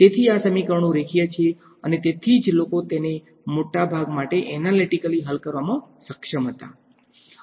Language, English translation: Gujarati, So, these equations are linear and that is why people were able to solve them analytically for a large part